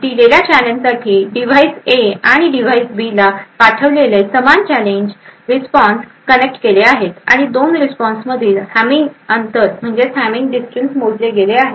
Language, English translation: Marathi, For a given challenge, the same challenge sent to the device A and in other device B, the responses are connected and the hamming distance between the 2 responses is computed